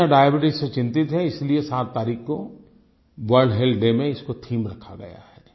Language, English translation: Hindi, The world is worried about Diabetes and so it has been chosen as the theme for World Health Day on 7th April